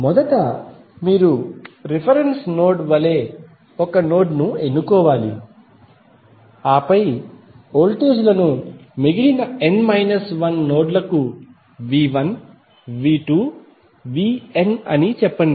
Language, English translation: Telugu, First you have to select a node as the reference node then assign voltages say V 1, V 2, V n to the remaining n minus 1 nodes